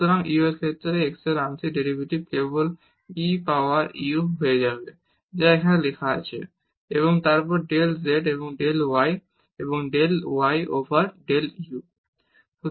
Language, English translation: Bengali, So, the partial derivative of x with respect to u will become simply e power u which is written here and then del z over del y and del y over del u